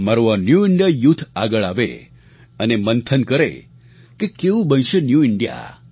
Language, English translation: Gujarati, My New India Youth should come forward and deliberate on how this New India would be formed